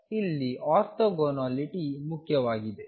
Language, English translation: Kannada, So, orthogonality here is important